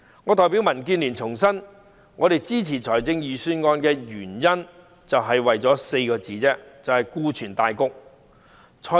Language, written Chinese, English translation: Cantonese, 我代表民主建港協進聯盟重申，我們支持財政預算案只為了4個字——顧全大局。, On behalf of the Democratic Alliance for the Betterment and Progress of Hong Kong DAB let me reiterate that we support the budget only for the greater good